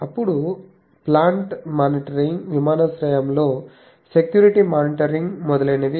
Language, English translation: Telugu, Then plant monitoring, security monitoring at airport etc